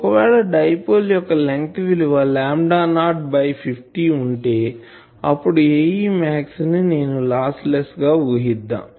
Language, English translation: Telugu, So, if I have a dipole of length lambda not by 50, then its A e max I am assuming lossless